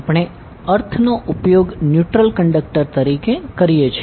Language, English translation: Gujarati, We use earth as a neutral conductor